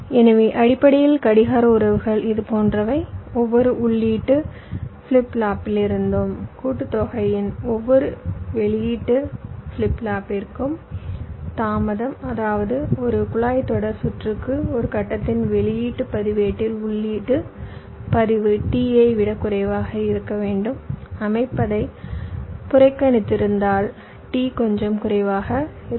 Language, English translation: Tamil, ok, so basically the clocking relationships are like this: delay from each input flip flop to each output flip flop of combinational block, which means for a pipelines circuit, the input register to the output register of a stage should be less than t, ignoring set up